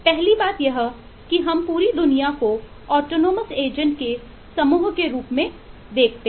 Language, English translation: Hindi, The first thing is we view the whole world as a set of autonomous agents